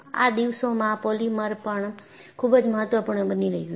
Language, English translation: Gujarati, And, polymers are also becoming very important these days